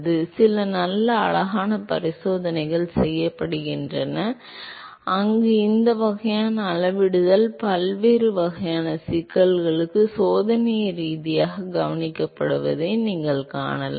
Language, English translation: Tamil, So, there are some nice cute experiments it is being performed where you can see this kind of scaling has been observed experimentally for different kinds of problems